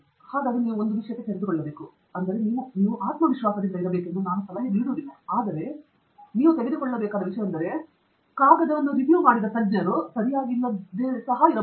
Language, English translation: Kannada, So one of things you should be open to, I mean, I am not suggesting that you should be over confident, but one of things you should be open to is the possibility that the expert who looked at the paper may also not be right